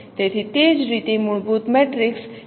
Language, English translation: Gujarati, That is a structure of fundamental matrix